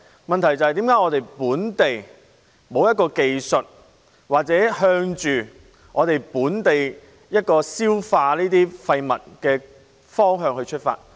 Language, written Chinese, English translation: Cantonese, 問題是為何本地沒有相關技術處理，或向着在本地消化廢物的方向出發？, The question is why is there no relevant technology to deal with it locally or solution towards local digestion of the waste?